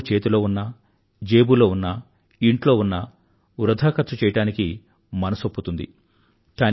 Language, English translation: Telugu, When there is cash in the hand, or in the pocket or at home, one is tempted to indulge in wasteful expenditure